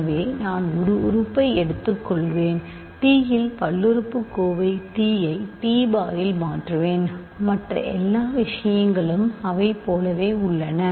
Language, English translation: Tamil, So, I will take an element, polynomial in t I will simply replace t by t bar, all the other things are left as they are